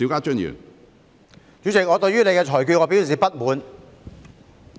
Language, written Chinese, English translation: Cantonese, 主席，我對你的裁決表示不滿。, President I am dissatisfied with your ruling